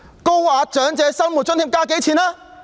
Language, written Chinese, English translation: Cantonese, 高額長者生活津貼增加了多少？, How much has the Higher OALA increased?